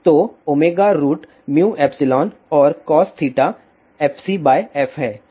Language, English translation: Hindi, So, is omega root mu epsilon and cos theta is fc by f